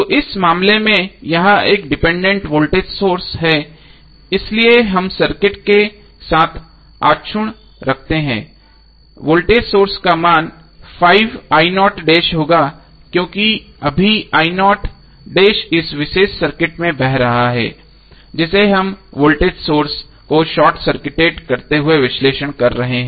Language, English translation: Hindi, So in this case this is depended voltage source so we keep intact with the circuit, the value of the voltage source will be 5i0 dash because right now i0 dash is flowing in this particular circuit